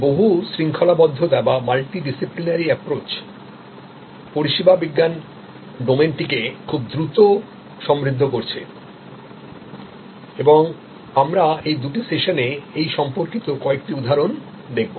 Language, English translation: Bengali, And this multi disciplinary approach is enriching the service science domain very rapidly and we will see some examples during these two sessions